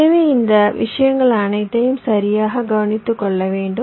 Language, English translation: Tamil, so all this things also have to be taken care of, right